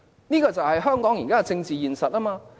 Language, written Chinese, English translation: Cantonese, 這就是香港現時的政治現實。, This is a political reality in todays Hong Kong